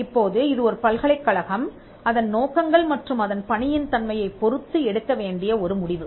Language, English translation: Tamil, Now, this is a call that the university needs to take based on its objectives and its mission